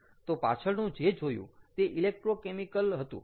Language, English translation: Gujarati, so previous one was electrochemical